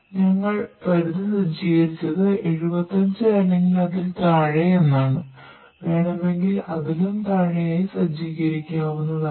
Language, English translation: Malayalam, We have set the threshold less than or 75, you can actually set it to the even below than that